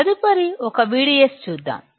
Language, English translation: Telugu, Let us see next one V D S